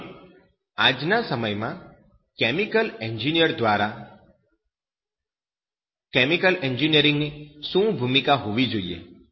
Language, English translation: Gujarati, Now then what should be the role of that chemical engineer today